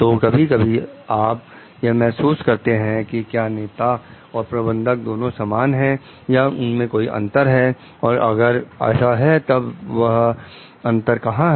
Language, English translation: Hindi, So, whether sometimes we feel like whether leaders and managers are same or is their indifference and if it is so, then where is that difference